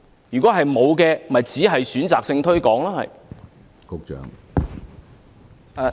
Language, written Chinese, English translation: Cantonese, 如果沒有，就是選擇性推廣。, If it did not it was being selective in its promotion work